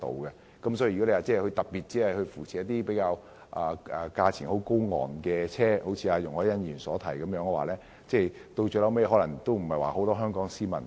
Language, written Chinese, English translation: Cantonese, 如果政府只特別扶持較高昂的車種，結果便會一如容海恩議員所說般，可能沒有很多香港市民使用。, If the Government only offers particular support for expensive EVs of certain types the result may be that not many people will be willing to use EVs just as Ms YUNG Hoi - yan asserted